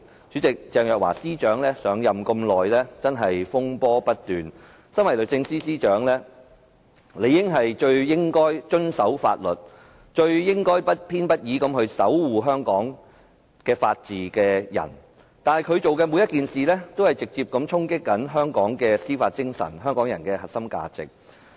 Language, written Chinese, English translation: Cantonese, 主席，鄭若驊司長上任至今風波不斷，身為律政司司長，理應是最遵守法律、最不偏不倚地守護香港法治的人，但她所做的每一件事，均直接衝擊香港的司法精神和香港人的核心價值。, Being the Secretary for Justice she should be the most law - abiding person upholding Hong Kongs rule of law most impartially . Yet everything she did has dealt a direct blow to Hong Kongs judicial spirit and the core values of the public